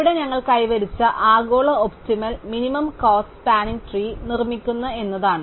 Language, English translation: Malayalam, And here the global optimum that we achieved is that we construct the spanning tree that is minimum cost